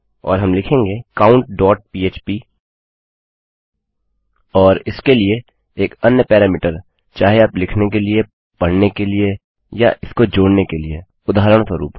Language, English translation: Hindi, And well say count.php and another parameter for this is whether you want it for writing, for reading or to append that, for example